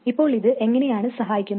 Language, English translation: Malayalam, Now why does this help